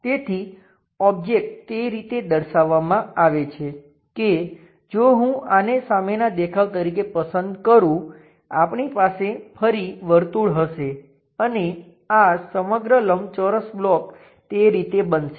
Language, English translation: Gujarati, So, object is located in that way if I am going to pick this one as the front view; we will have circle again one more circle and this entire rectangular block turns out to be in that way